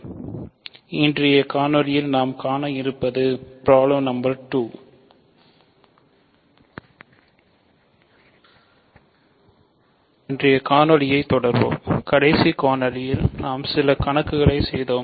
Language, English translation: Tamil, So, let us continue, in the last video we did some problems